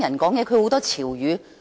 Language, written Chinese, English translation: Cantonese, 我也不大聽得懂年輕人的潮語。, I also cannot understand the buzzwords of the younger generation